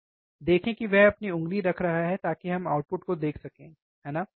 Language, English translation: Hindi, Output is see he is he is placing his finger so, that we can see the output, right